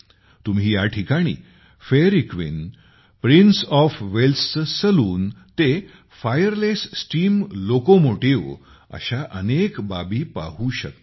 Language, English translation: Marathi, You can also find here,from the Fairy Queen, the Saloon of Prince of Wales to the Fireless Steam Locomotive